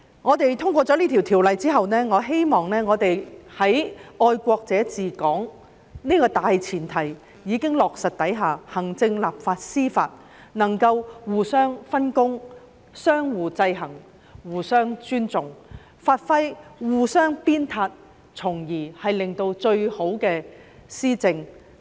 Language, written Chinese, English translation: Cantonese, 在通過《條例草案》之後，我希望在"愛國者治港"原則已經落實的情況下，行政、立法和司法能夠互相分工，相互制衡，互相尊重，互相鞭策，從而為市民作出最好的施政。, I hope that upon passage of the Bill and by the time the principle of patriots administering Hong Kong is already in place the Governments executive legislative and judicial arms will be able to divide the work among themselves exercise checks and balances among one another and have due respect for and motivate one another in order to achieve best governance